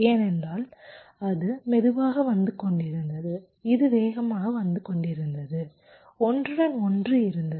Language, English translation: Tamil, because it was coming slower and this was coming faster, there was a overlap